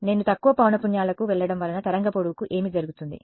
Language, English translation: Telugu, I do not want to go too low because as I go to lower frequencies what happens to the wave length